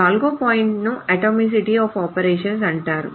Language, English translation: Telugu, The fourth point is called the atomicity